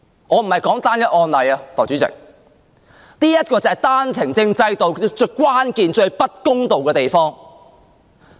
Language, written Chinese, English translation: Cantonese, 我不是說單一案例，代理主席，這便是單程證制度最關鍵和最不公道的地方。, I am not referring to a single case Deputy President and that is the most crucial and unfair aspect of the OWP system